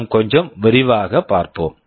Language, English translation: Tamil, Let us look into a little more detail